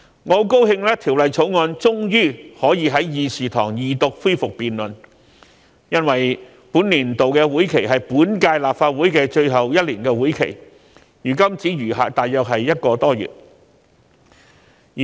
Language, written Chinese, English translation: Cantonese, 我很高興《條例草案》終於可以在議事堂上恢復二讀辯論，因為今年是本屆立法會的最後一年，本年度的會期如今只餘下大約一個多月。, I am very delighted that the Second Reading debate on the Bill can finally be resumed in the Council because this is the final year of the current term of the Legislative Council and there is only one month or so left in this term